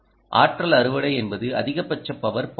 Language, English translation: Tamil, so energy harvesting means maximum power, point ah